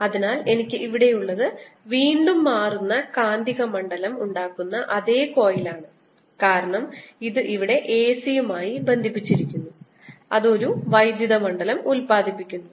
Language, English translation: Malayalam, so what i have here is again the same coil that produces a changing magnetic field, because this is connected to the a c and it produces this electric field which is going around